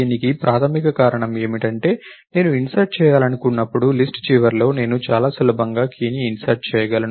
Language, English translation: Telugu, So, the primary reason for this is that when I want to insert, I can very easily insert a key at the end of the list